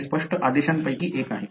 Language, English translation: Marathi, That is one of the clear mandate